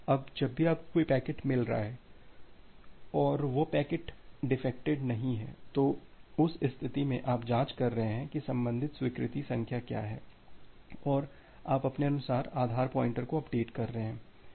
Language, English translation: Hindi, Now whenever you are getting a packet and that packet is not corrupted, in that case you are checking that what is the corresponding acknowledgement number and you are updating the base pointer accordingly